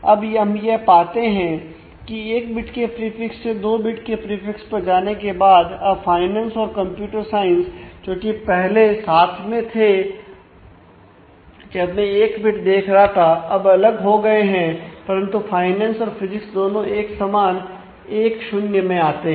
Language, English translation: Hindi, So, now, I find that after I have moved from looking at 1 bit of prefix to 2 bits of prefix now finance and computer science which was earlier together because I was looking at 1 bit now becomes different, but finance and physics both come to the same 1 0